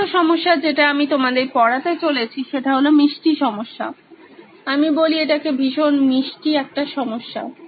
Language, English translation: Bengali, The 3rd problem that I am going to cover is a sweet problem as I call it, it’s a very sweet problem